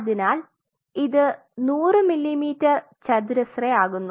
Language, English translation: Malayalam, So, that makes it 100 millimeter square accept it